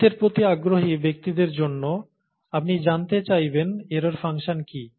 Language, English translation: Bengali, For people who have an interest in maths, you would like to know what an error function is